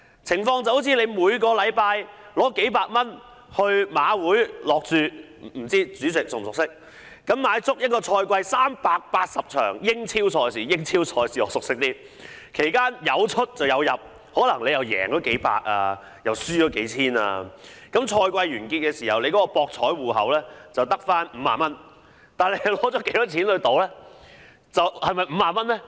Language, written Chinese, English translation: Cantonese, 情況好像每星期花數百元去馬會下注——不知道主席是否熟悉——買足一個賽季380場英超賽事——我比較熟悉英超賽事——其間有出有入，可能贏到數百元，又可能輸了數千元，賽季完結時，博彩戶口只剩下50元，但你花了多少錢去賭呢？, Just like the case where one bets a few hundred dollars a week with the Jockey Club―I am not sure if the President is familiar with this―on each of the 380 English Premier League matches―I am more familiar with the English Premier League―he may win or lose during the period . He may win a few hundred dollars or lose a few thousand dollars . At the end of the season only 50 were left in the betting account so how much was actually spent on betting?